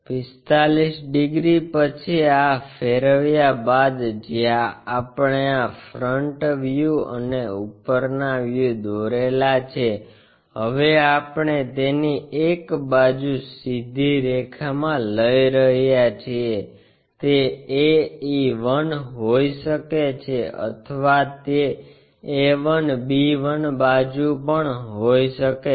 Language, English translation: Gujarati, After 45 degrees this rotation where we have constructed this front view and top view now we are going to align one of the sides it can be a e 1 or it can be a 1 b 1 sides also